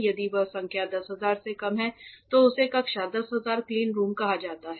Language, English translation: Hindi, If that number is less than 10,000 it is called a class 10,000 cleanroom